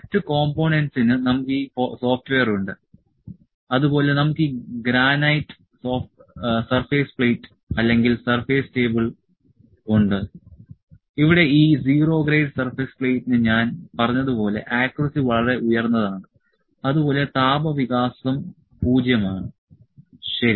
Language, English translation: Malayalam, Other components we have this software and we have this granite surface plate or surface table here, this 0 grade surface plate as I said the accuracy is quite high and the thermal expansion is 0, ok